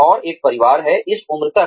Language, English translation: Hindi, And, have a family, by this age